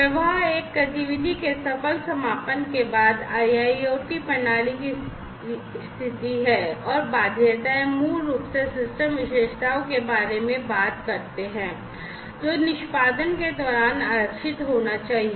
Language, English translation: Hindi, Effect is the state of the IIoT system after successful completion of an activity and constraints basically talk about the system characteristics, which must be reserved during the execution